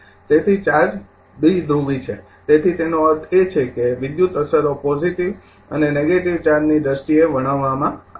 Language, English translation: Gujarati, So, charge is bipolar so, it means electrical effects are describe in terms of positive and your negative charges the first thing